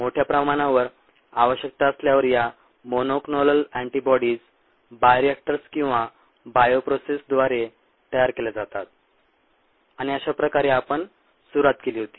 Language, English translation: Marathi, these monoclonal antibodies, when required in large amounts, are produced through by reactors or bioprocess ah, and that's how we started